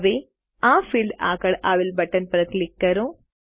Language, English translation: Gujarati, Now, click on button next to this field